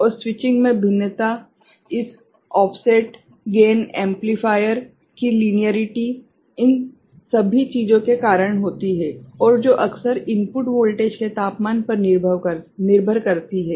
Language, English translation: Hindi, And variation in switching is happens because of this offset, gain, linearity of the amplifier all those things ok, and which often depends on the input voltage temperature ok